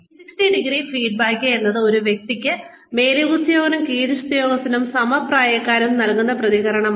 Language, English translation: Malayalam, 360ø feedback is, when feedback is given by superiors, subordinates and peers